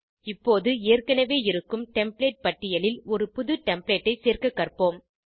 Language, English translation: Tamil, Now lets learn to add a New template to the existing Template list